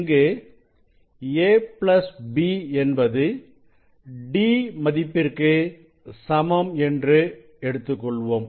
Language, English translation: Tamil, If both are equal a plus b equal to d you know if b is if a is 0